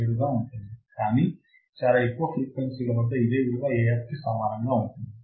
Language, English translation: Telugu, 707, but at very high frequency my value will be equal to Af